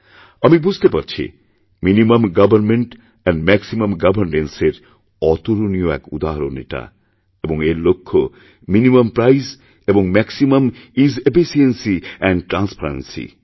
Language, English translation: Bengali, I believe that this is an excellent example of Minimum Government and Maximum Governance, and it's objective is Minimum Price and Maximum Ease, Efficiency and Transparency